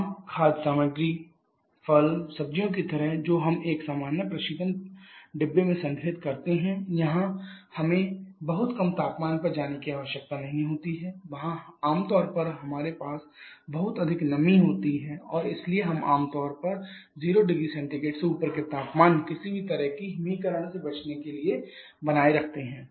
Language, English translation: Hindi, Like the common food stuffs, fruits, vegetables that we store in a normal relation compartment there we we do not need to go for very low temperatures there we generally have lots of moisture content and therefore we generally maintain the temperature above 0 degree Celsius to avoid any kind of freezing